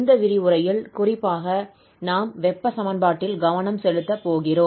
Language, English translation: Tamil, So, in this lecture, we will, in particular focus on heat equation and that too in two forms